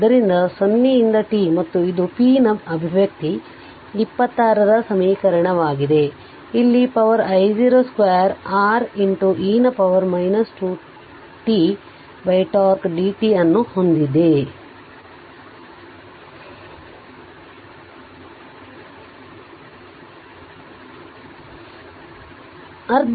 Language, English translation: Kannada, So, 0 to t and this is the expression for p that is equation 26, you put it here I just I 0 square R into e to the power minus 2 t upon tau ah dt you integrate and simplify if you do so